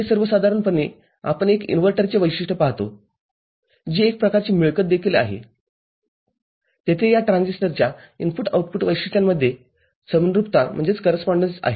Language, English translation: Marathi, This is in general we see a characteristic of an inverter which is also a kind of getting there is correspondence between this transistor input output characteristics, is it clear